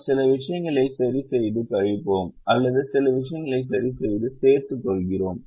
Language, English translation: Tamil, we we either keep certain things fixed and subtract, or keep certain things fixed and add